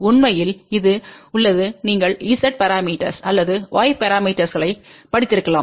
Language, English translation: Tamil, In fact, this has been a general definition you might have studied Z parameters or Y parameters